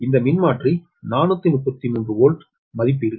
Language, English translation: Tamil, so you, the transformer is forty thirty three volt rating